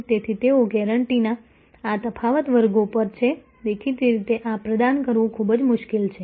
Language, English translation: Gujarati, So, they are at this difference classes of guarantees; obviously, it is very, very difficult to ah provide this